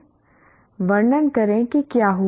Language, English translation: Hindi, Describe what happened yet